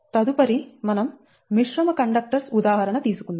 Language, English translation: Telugu, next example we will take for composite conductors